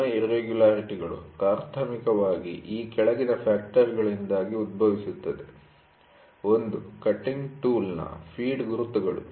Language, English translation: Kannada, The surface irregularities primarily arise due to the following factors: Feed marks of the cutting tool